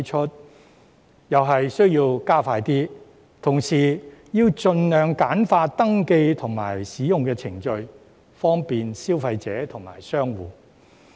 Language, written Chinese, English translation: Cantonese, 相關工作同樣要加快，還要盡量簡化登記和使用程序，方便消費者和商戶。, The related work should likewise be expedited and the procedures for registration and use should also be streamlined as far as possible for the convenience of consumers and shop operators